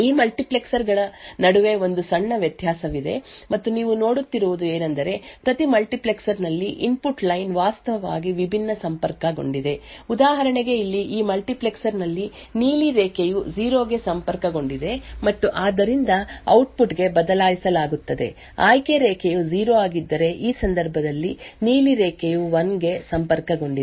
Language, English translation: Kannada, There is a minor difference between the 2 multiplexers and what you see is that the input line is actually connected differently in each multiplexer for example over here, the blue line is connected to 0 in this multiplexer and therefore will be switched to the output when the select line is 0, while in this case the blue line is connected to 1